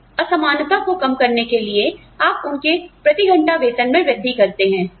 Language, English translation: Hindi, To reduce this disparity, you increase their hourly wage